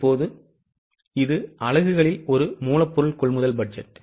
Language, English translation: Tamil, Now, this is a raw material purchase budget in units